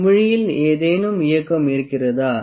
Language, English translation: Tamil, Do you find any movement in the bubble